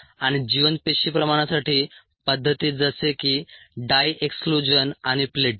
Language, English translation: Marathi, methods for viable cell concentration, such as dye exclusion and plating